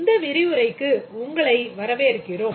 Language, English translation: Tamil, Welcome to this lecture